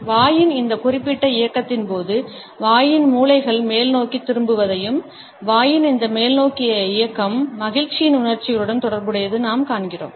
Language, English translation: Tamil, During this particular movement of the mouth we find that corners of the mouth at turned upwards and this upward movement of the mouth is associated with emotions of happiness